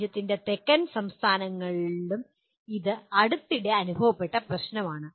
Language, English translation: Malayalam, This is also recently experienced problem in the southern states of the country